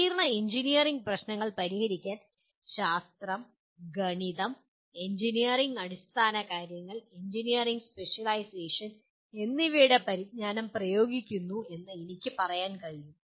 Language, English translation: Malayalam, I can say solve complex engineering problems applying the knowledge of mathematics, science, engineering fundamentals and an engineering specialization